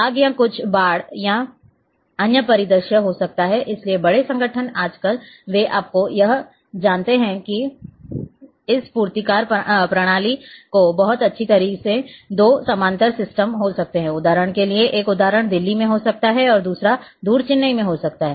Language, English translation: Hindi, And may be fire or some flooding or other scenario so, big organization nowadays they keep you know this backup system very nicely may be two parallel systems one may be in say in example in Delhi another one might be far in Chennai